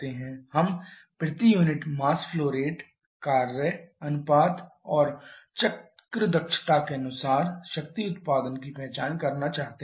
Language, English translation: Hindi, So, power output will be this one power output per unit mass flow rate back work ratio and cycle efficiency we have calculated